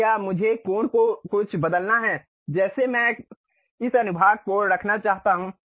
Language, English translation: Hindi, Or do I have to change the angle something like I would like to have this section